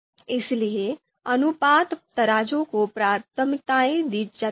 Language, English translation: Hindi, So therefore, ratio scales are preferred